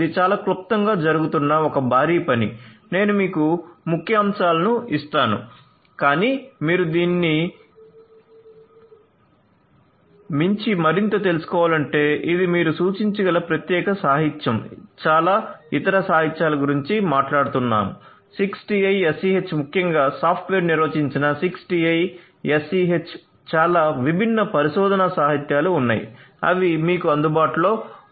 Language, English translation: Telugu, This is a huge work that is going on in a very not cell let me just give you the highlights, but if you need to know more beyond this, this is this particular literature that you can refer to this is not the only one there are so many different other literature talking about 6TiSCH particularly software defined 6TiSCH there are so many different research literature that are available for you to go through